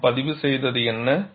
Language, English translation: Tamil, And what is that we have recorded